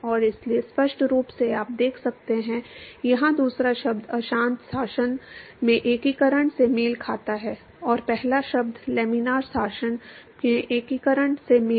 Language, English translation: Hindi, And so, clearly you can see that the second term here, corresponds to the integration in the turbulent regime, and the first term corresponds to the integration in the laminar regime